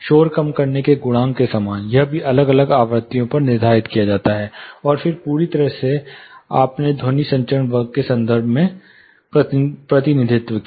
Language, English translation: Hindi, Similar to noise reduction coefficient, this is also determined that different frequencies, and then totally you represented in terms of something called sound transmission class